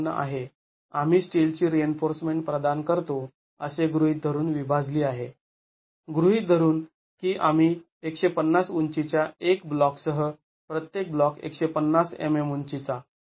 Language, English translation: Marathi, 54 divided by assuming we provide steel reinforcement in alternate blocks with one block of height 150, each block of height 150 mm